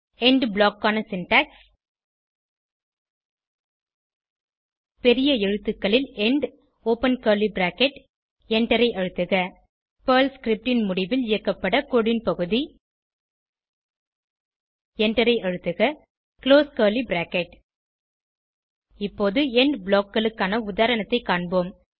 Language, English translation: Tamil, The syntax for END block is as follows END in capital letters open curly bracket Press Enter Piece of code to be executed at the end of the PERL script Press Enter Close curly bracket Now let us look at an example of END blocks